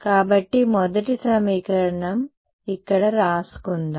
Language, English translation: Telugu, So, first equation so, let us write down over here